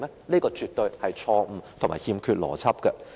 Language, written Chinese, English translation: Cantonese, 這個絕對是錯誤和欠缺邏輯的。, This is absolutely wrong and illogical